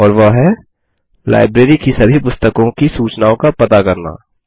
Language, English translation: Hindi, And that is: Get information about all books in the library